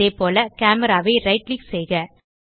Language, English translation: Tamil, Similary, Right click the Camera